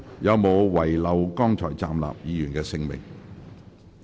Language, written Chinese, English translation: Cantonese, 有沒有遺漏剛才站立的議員的姓名？, Did I miss any name of those Members who just stood up?